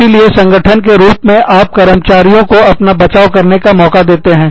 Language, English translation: Hindi, So, as the organization, you give the employees, a chance to defend themselves